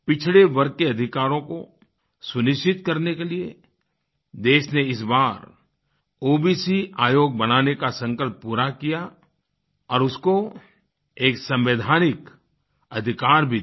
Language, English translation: Hindi, The country fulfilled its resolve this time to make an OBC Commission and also granted it Constitutional powers